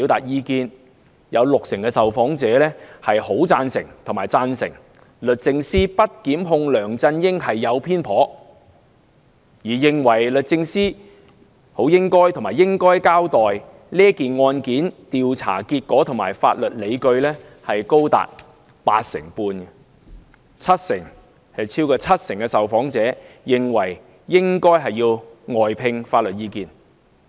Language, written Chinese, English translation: Cantonese, 有六成受訪者"很贊成"和"贊成"律政司不檢控梁振英的決定是偏頗的；認為律政司"很應該"和"應該"交代該案的調查結果和法律理據的亦高達八成半；超過七成受訪者認為應外聘法律意見。, About 60 % of the interviewed very much agree or quite agree that DoJs decision not to prosecute LEUNG Chun - ying is biased . About 85 % of them consider it very necessary or quite necessary for DoJ to account for the investigation results and legal analysis of the case . More than 70 % consider it necessary to seek external legal opinion